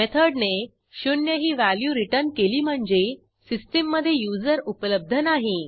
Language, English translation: Marathi, So, if the method returns 0 then, it means the user does not exist in the system